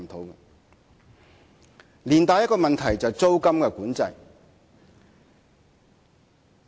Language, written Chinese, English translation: Cantonese, 以上帶出另一個問題，就是租務管制。, The above issue brings out another problem which is tenancy control